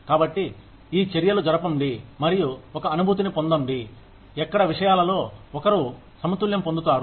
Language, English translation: Telugu, So, have these discussions, and get a feel for, where one would balance these things out